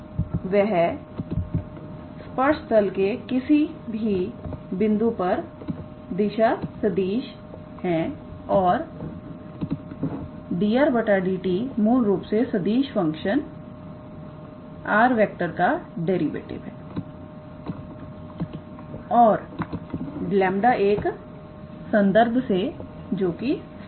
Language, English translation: Hindi, And that is the position vector of any point on the tangent plane and dr dt is basically the derivative of the vector function r with respect to t and lambda is a constant